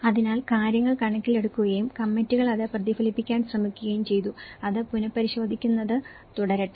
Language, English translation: Malayalam, So, things have been taken into account and committees have try to reflect that and let it has to keep revising